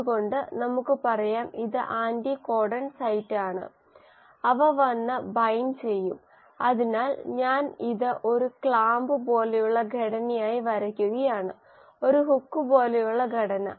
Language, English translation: Malayalam, So let us say this is the anticodon site, will come and bind, so I am just drawing this like a clamp like structure, just a hook like structure